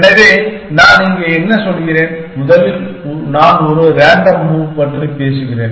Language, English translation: Tamil, So, what I was saying here, that first of all I am talking about a random move